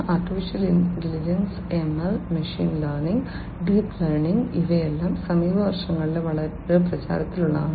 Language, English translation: Malayalam, Artificial Intelligence, ML: Machine Learning, Deep Learning these things have become very popular in the recent years